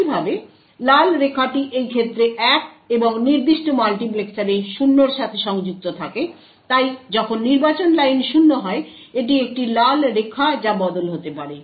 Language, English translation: Bengali, Similarly the red line is connected to 1 in this case and 0 in this particular multiplexer and therefore when the select line is 0, it is a red line that can switch